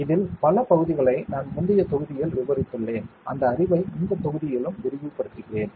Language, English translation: Tamil, Many part of this I have covered in the previous module, I will further extend that knowledge in this module as well